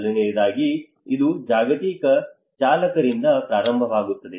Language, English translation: Kannada, First of all, it starts from the global drivers